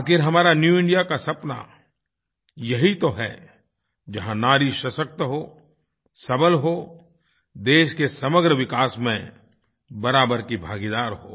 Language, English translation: Hindi, After all, our dream of 'New India' is the one where women are strong and empowered and are equal partners in the development of the country